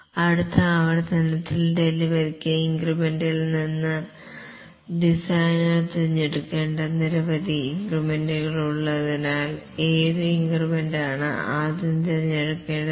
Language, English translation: Malayalam, Because there are several increments out of which the designer need to choose one of the increment for delivery in the next iteration, which increments should be selected first